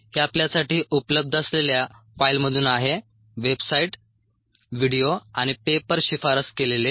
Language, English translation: Marathi, this is from ah, the file that is available to you: websites, videos and papers recommended